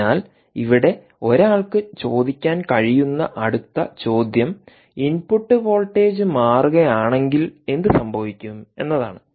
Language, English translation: Malayalam, so the next question one can ask here is that what happens if the input voltage changes